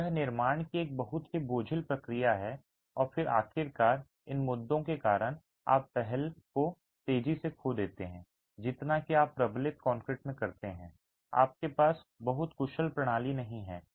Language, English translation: Hindi, So, it's a very cumbersome process of construction and then finally because of these issues you lose the pre stress faster than you would do in reinforced concrete, you don't have a very efficient system